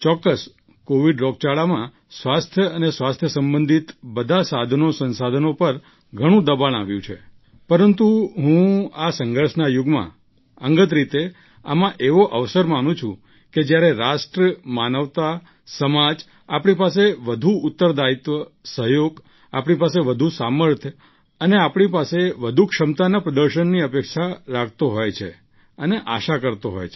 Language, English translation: Gujarati, Undoubtedly during the Covid pandemic, there was a lot of strain on all the means and resources related to health but I personally consider this phase of cataclysm as an opportunity during which the nation, humanity, society expects and hopes for display of all that more responsibility, cooperation, strength and capability from us